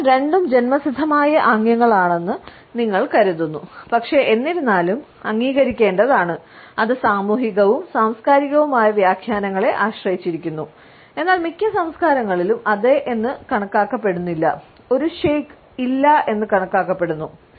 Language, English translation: Malayalam, So, you would find that both are presumed to be inborn gestures, but; however, nod is to be understood, depends on the social and cultural interpretations, but in most cultures are not is considered to be a yes and a shake is considered to be a no